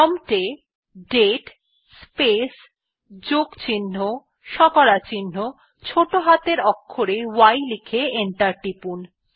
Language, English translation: Bengali, Type at the prompt date space +% small y and press enter